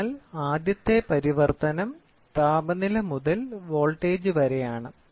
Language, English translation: Malayalam, So, the first translation, the first translation is temperature to voltage